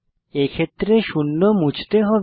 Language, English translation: Bengali, In our case, zero will be removed